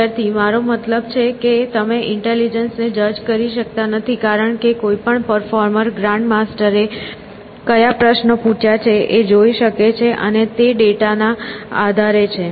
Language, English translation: Gujarati, Student: I mean you cannot judge the intelligence because like any performer can see the past media like through what type of question a grandmaster configuration and based on that data